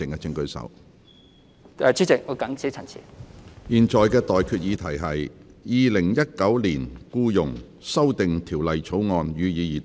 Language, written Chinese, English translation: Cantonese, 我現在向各位提出的待決議題是：《2019年僱傭條例草案》，予以二讀。, I now put the question to you and that is That the Employment Amendment Bill 2019 be read the Second time